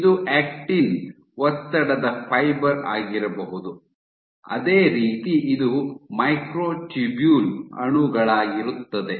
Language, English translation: Kannada, So, this might be your actin stress fiber, similarly this one this will be microtubule